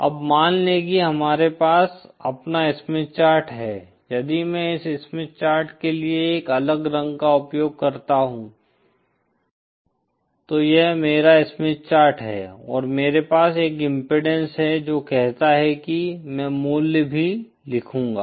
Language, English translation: Hindi, Now suppose again we have our Smith Chart if I use a different color for this Smith ChartÉso this is my Smith Chart and say I have an impedance say IÕll write the value also